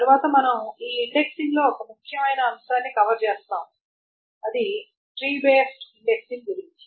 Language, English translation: Telugu, Next we will cover one very important topic in this indexing which is on the tree based indexing